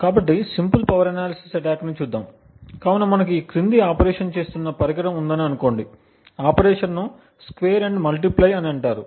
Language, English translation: Telugu, So, let us look at simple power analysis, so let us say we have a device which is performing the following operation, the operation is called a square and multiply